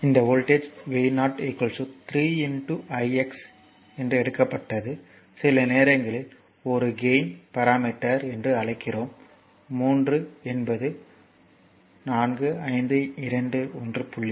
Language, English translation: Tamil, Similarly, this is also this voltage v 0 it is taken 3 into i x, sometimes we call this is a gain parameter 3, it is 3 it may be 4 5 2 1